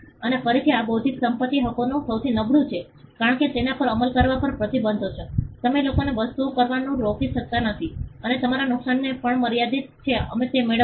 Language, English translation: Gujarati, And again this is the weakest of intellectual property rights, because there are restrictions on enforcing it, you cannot stop people from doing things and your damages are also limited we will get to that